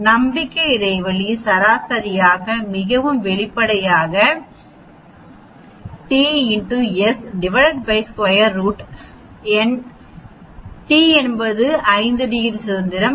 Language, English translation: Tamil, So confidence interval on the mean so obviously t into s divided by square root n, t is 5 degrees of freedom